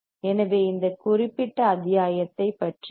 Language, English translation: Tamil, So, this is about this particular module